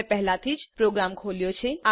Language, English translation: Gujarati, I have already opened the program